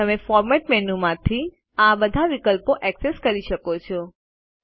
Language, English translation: Gujarati, You can also access all these options from the Format menu